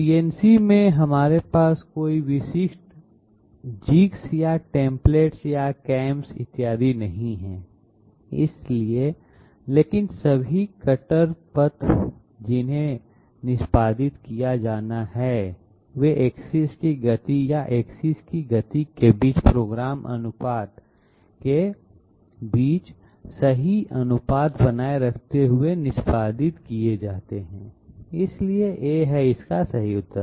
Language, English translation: Hindi, In CNC we are having no part specific jigs or templates or cams, et cetera, but all the cutter paths which are to be executed, they are executed by maintaining correct ratio between axes speeds or programmed ratio between axes speeds, so A is the correct answer